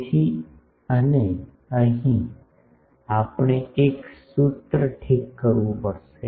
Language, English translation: Gujarati, So, and here we will have to fix a formula